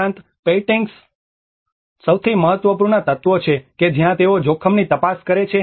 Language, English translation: Gujarati, \ \ \ Also, the paintings are most important elements that is where they keeps check to the risk